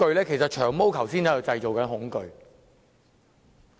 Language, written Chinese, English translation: Cantonese, 其實，"長毛"剛才正在製造恐懼。, In fact Long Hair was creating fear earlier on